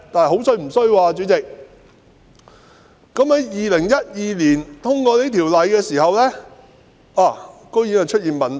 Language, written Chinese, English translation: Cantonese, 可是，代理主席，在2012年修訂《漁業保護條例》後竟然發現問題。, Having said that Deputy President there were nevertheless problems after the amendment of the Fisheries Protection Ordinance in 2012